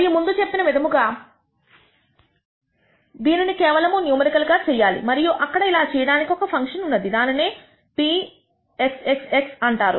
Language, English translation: Telugu, And as I said this can only be done numerically and there is a function for doing this it is called p xxx